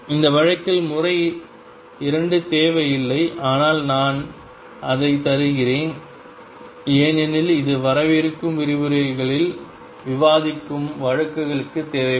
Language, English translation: Tamil, Method 2 which in this case is not will required, but I am giving it because it will require for cases that will discuss in the coming lectures